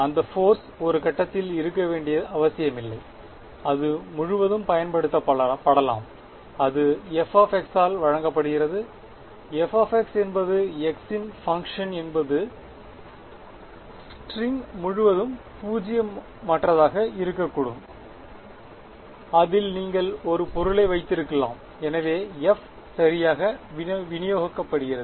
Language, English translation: Tamil, That force need not be at a point it can be applied throughout and that is given by f of x; f of x is the is a function of x can be non zero throughout the string you could be have placed an object on it, so f is distributed right